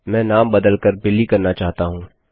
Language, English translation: Hindi, I want to change the name to Billy